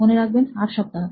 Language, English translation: Bengali, Remember 8 weeks